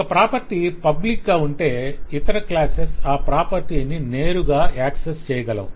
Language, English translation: Telugu, If a property is public, it is meant that any other class can access that property directly